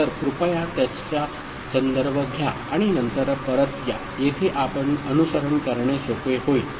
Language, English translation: Marathi, So, please refer to that and then come back, here it will be easier for you to follow